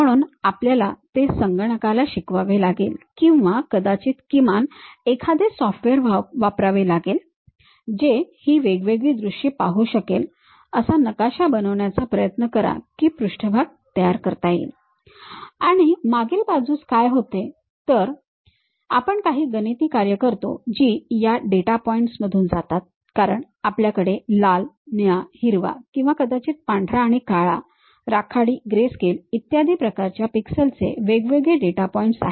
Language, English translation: Marathi, So, we have to teach it to computer or perhaps use a at least a software which can really read this different views try to map that construct the surface and the back end what happens is you impose certain mathematical functions which pass through this data points because we have isolated data points in terms of pixels like colors red, blue, green or perhaps white and black, grey grayscale kind of images and so on